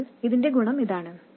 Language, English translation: Malayalam, So that is the advantage of this